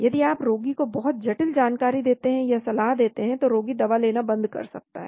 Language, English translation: Hindi, If you tell the patient very complicated information or advise the patient may stop taking the drug